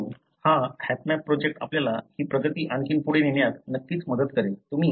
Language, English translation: Marathi, But, this HapMap project is, you know, would certainly help us to take this advancement further